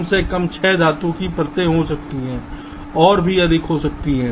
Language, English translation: Hindi, ok, in particular, there can be at least six metal layers, even more so typically